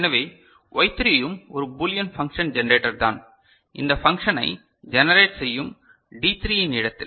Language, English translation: Tamil, So, Y3 is also a Boolean function generator in the place of D3 which is generating this function